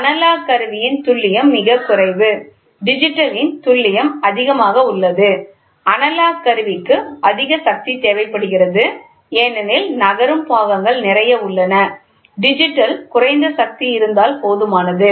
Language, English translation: Tamil, The accuracy of the analog instrument is very less, the accuracy of digital is high the analog instrument requires more power because, lot of moving parts are there digital is less power